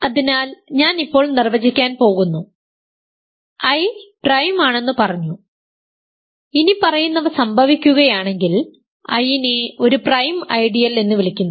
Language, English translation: Malayalam, So, now, I am going to define: I said to be prime, I is called a prime ideal if the following happens